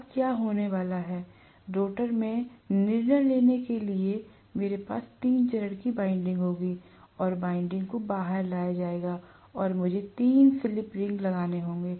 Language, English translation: Hindi, Now, what is going to happen is, I will have the three phase winding deciding in the stator, rotor and windings will be brought out and I have to put 3 slip rings